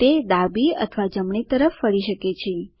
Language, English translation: Gujarati, It can move backwards It can turn left or right